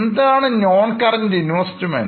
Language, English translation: Malayalam, Now, what is this non current investment